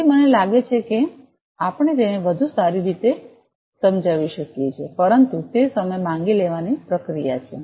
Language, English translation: Gujarati, So, I think we can explain it better, but it is a time consuming process